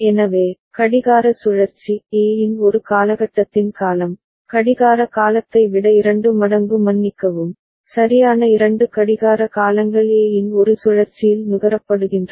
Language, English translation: Tamil, So, clock cycle the period of, time period of A one period of A is just half of sorry twice that of the clock period right two clock periods are consumed in one cycle of A